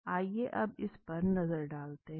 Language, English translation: Hindi, Now let us look at this